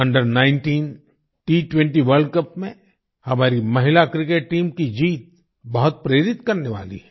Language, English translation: Hindi, The victory of our women's cricket team in the Under19 T20 World Cup is very inspiring